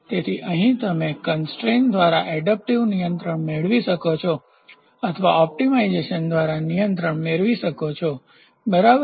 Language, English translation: Gujarati, So, here you can have adaptive control by constraints or you can have by optimisation, ok